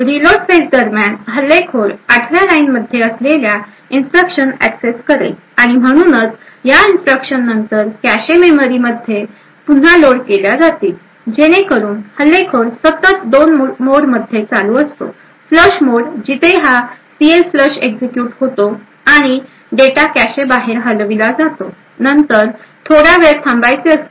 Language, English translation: Marathi, During the reload phase, the attacker would access the instructions present in line 8 and therefore, these instructions would then be reloaded into the cache memory thus what is happening is that the attacker is constantly toggling between 2 modes; flush mode where this CLFLUSH gets executed and data is moved out of the cache, then there is a wait for some time